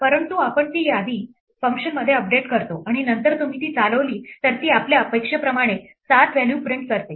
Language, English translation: Marathi, But we update that list inside the function and then if you run it then it does print the value 7 as we expect